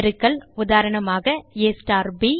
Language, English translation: Tamil, * Multiplication: eg